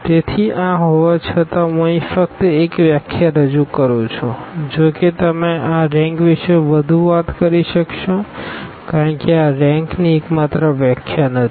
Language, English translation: Gujarati, So, having this let me just introduce here one definition though I can you will be talking more about this rank because this is not the only definition for rank